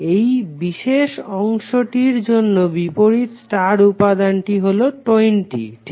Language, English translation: Bengali, For this particular segment, the opposite star element is 20 ohm